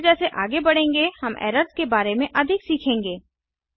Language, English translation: Hindi, As the series progresses, we will learn more about the errors